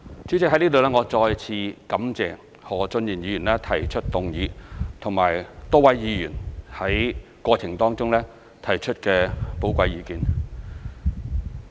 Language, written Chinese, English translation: Cantonese, 主席，我在此再次感謝何俊賢議員提出議案，以及多位議員在過程中提出寶貴意見。, President I thank Mr Steven HO again for moving the motion and Members for providing valuable opinions during the process